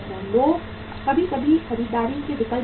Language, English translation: Hindi, People sometime change the buying options